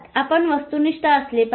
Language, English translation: Marathi, You be objective